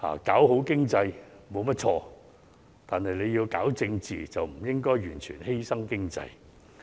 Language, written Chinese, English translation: Cantonese, 搞好經濟沒有錯，但要搞政治，就不應該完全犧牲經濟。, There is nothing wrong to improve the economy and no one should sacrifice the economy for politics